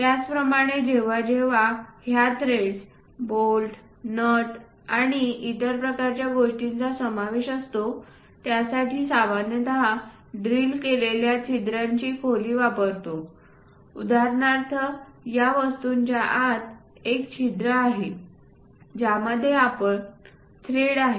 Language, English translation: Marathi, Similarly whenever these threads bolts nuts and other kind of things are involved, we usually go with depth of the drilled hole for example, for this object inside there is a hole in which you have a thread